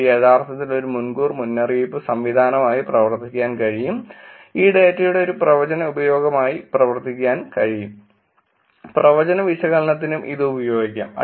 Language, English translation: Malayalam, It can actually act as an early warning system; it can act as a predictive usage of this data, it can use for predictive analysis also